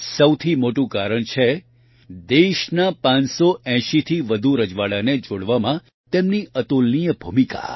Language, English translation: Gujarati, The biggest reason is his incomparable role in integrating more than 580 princely states of the country